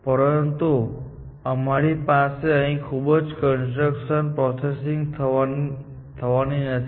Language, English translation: Gujarati, But we are not going to do too much of constraint processing, here